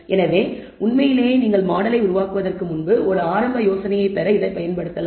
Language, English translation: Tamil, So, really speaking you can actually use this to get a preliminary idea before you even build the model